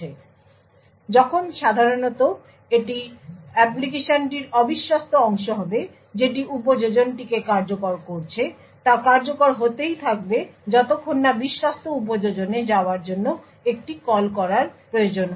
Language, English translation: Bengali, So, when typically, it would be untrusted part of the application which is executing the application would continue to execute until there is a call required to move to the trusted app